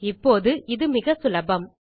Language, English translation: Tamil, Now, this is really easy